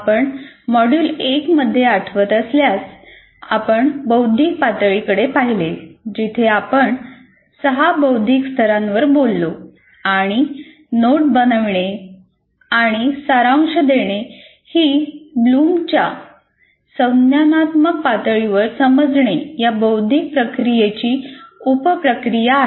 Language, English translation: Marathi, And if you recall, in module one we looked at the cognitive activities, cognitive levels where we talked about six cognitive levels and note making and summarization is a sub process of the cognitive process, understand as per Bloom cognitive activity